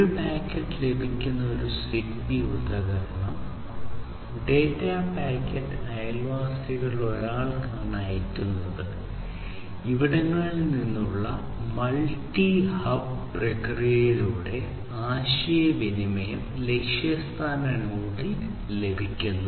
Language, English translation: Malayalam, It is about that if there is one ZigBee device which receives a packet then it is going to send to one of its neighbors and through some multi hub process communication the data from the source will be received at the destination node